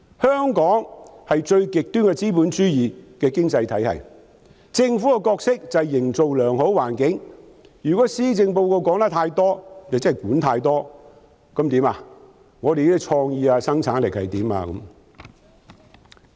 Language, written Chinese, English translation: Cantonese, 香港是最極端的資本主義經濟體系，政府的角色就是營造良好的環境，如果施政報告說得太多就是管太多，既要處理本港的創意發展，又要處理生產力。, Hong Kong is an economy of extreme capitalism whereas the role of the Government is to create a favourable environment . Hence if too much is mentioned in the Policy Address the Government is imposing too much control handling creativity development on the one hand and productivity on the other